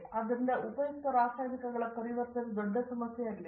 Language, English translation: Kannada, Therefore, the conversion to useful chemicals is a big problem